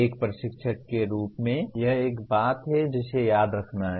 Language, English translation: Hindi, That is one thing as an instructor one has to remember that